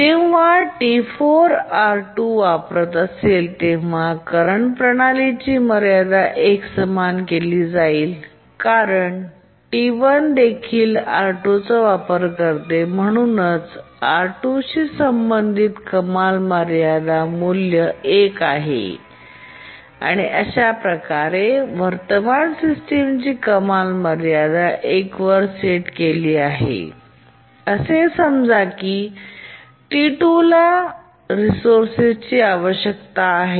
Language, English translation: Marathi, When T4 is using R2, the current system ceiling will be set equal to 1 because T1 also uses R2 and therefore the sealing value associated with R2 is 1 and the current system sealing will be set to 1